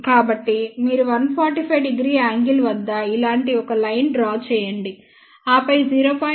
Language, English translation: Telugu, So, you draw a line at 145 degree angle and this is 0